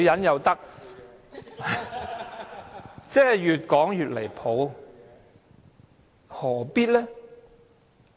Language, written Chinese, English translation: Cantonese, 越說越離譜，何必呢？, It is getting more and more ridiculous . Why?